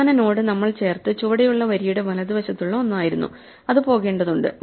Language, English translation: Malayalam, The last node that we added was the one at the right most end of the bottom row and that must go